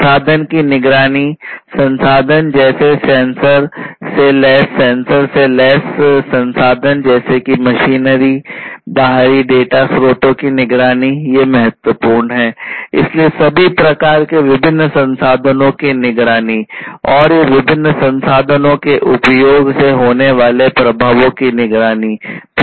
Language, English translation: Hindi, Monitoring the resources; resources such as sensors, sensor equipped resources such as this machinery and monitoring the external data sources, these are important; so monitoring of all kinds of different resources and also the monitoring of the effects through the use of these different resources